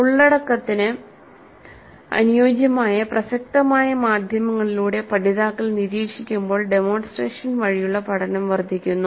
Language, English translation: Malayalam, So learning from demonstration is enhanced when learners observe through media that is relevant to the content